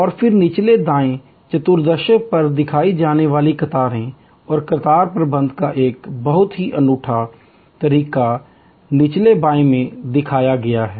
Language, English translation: Hindi, And then, there are queues shown on the lower right quadrant and a very unique way of queue management is shown on the lower left